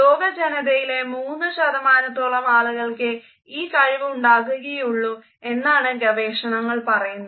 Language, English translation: Malayalam, Researchers tell us that only about 3% of the population can have this capability